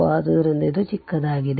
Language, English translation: Kannada, So, it is short right